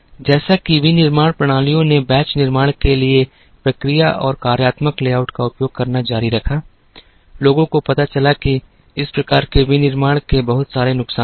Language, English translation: Hindi, As manufacturing systems continued to use the process and functional layout for batch manufacturing, people found out that, there were lots of disadvantages of such a type of manufacturing